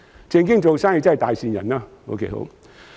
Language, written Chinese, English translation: Cantonese, "正經做生意即是大善人。, Doing business properly suggests that the landlords are kind - hearted